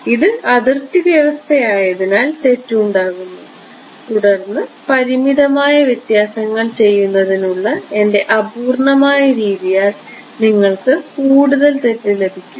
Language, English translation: Malayalam, As it is this is the boundary condition going to introduce the error then on top of my imperfect way of doing finite differences will give you further error